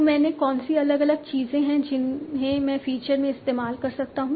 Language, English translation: Hindi, So what are the different things that I can use in feature